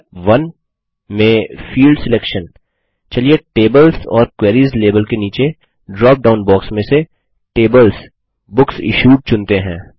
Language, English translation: Hindi, In Step 1, Field Selection, let us choose Tables:BooksIssued from the drop down box beneath the label that says Tables or queries